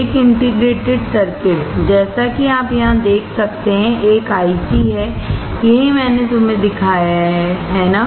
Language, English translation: Hindi, An integrated circuit; as you can see here, is an IC; that is what I have shown you, right